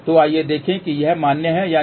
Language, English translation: Hindi, So, let us see whether that is valid or not